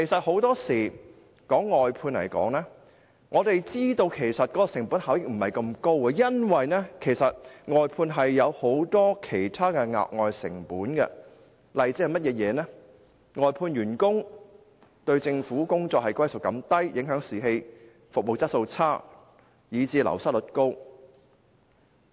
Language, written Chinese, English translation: Cantonese, 很多時候，我們知道外判的成本效益其實並非那麼高，因為外判有很多其他額外成本，例如外判員工對政府工作歸屬感較低，影響士氣，服務質素變差，以致流失率高。, More often than not we know that the cost - effectiveness of outsourcing is actually not that high because it involves many other extra costs . For example outsourced workers have a lower sense of belonging to work in the Government thus affecting the morale and the quality of service will worsen leading to a high wastage rate